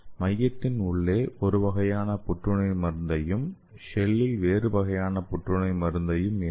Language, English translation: Tamil, That means inside the core we can load one kind of anti cancer drug and in the shell, we can load different kinds of anti cancer drug